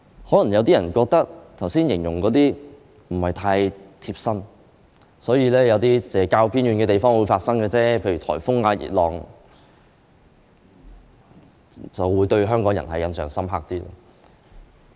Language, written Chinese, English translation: Cantonese, 可能有些人認為，我剛才描述的事不是太貼身，認為只是較偏遠的地方才會發生，香港人對於颱風、熱浪等東西才會有較深刻的印象。, Probably some people may consider what I just described not quite relevant to them thinking that it is something which only happens in some more remote places . To Hong Kong people typhoons heatwaves and suchlike are the very weather conditions that they have deeper impression